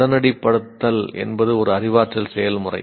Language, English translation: Tamil, Instantiating is a cognitive process